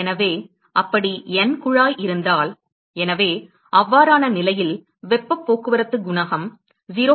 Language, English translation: Tamil, So, if we have N tube like that; so, in that case heat transport coefficient can be extended to 0